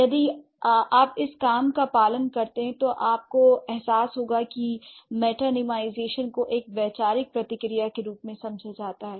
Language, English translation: Hindi, If you follow this work, you would realize that metonymization should also be understood as a conceptual phenomenon